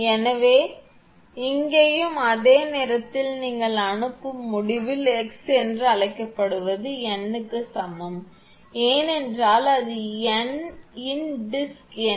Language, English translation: Tamil, So, here also at the same thing at that your what you call at the sending end x is equal to n, because it is n number of disc is there